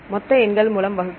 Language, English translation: Tamil, Divide by total number